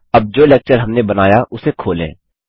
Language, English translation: Hindi, Now let us open the lecture we created